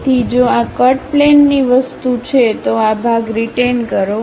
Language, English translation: Gujarati, So, if this is the cut plane thing, retain this part